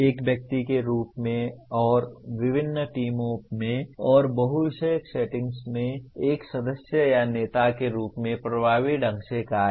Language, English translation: Hindi, Function effectively as an individual and as a member or leader in diverse teams and in multidisciplinary settings